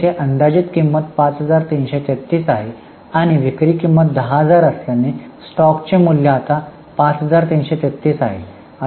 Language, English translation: Marathi, But here since the cost estimated cost is 533 and selling price is 10,000, the stock will now be valued at 533